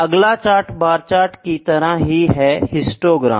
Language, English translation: Hindi, Next chart I will like to show similar to bar charts is the histogram as I showed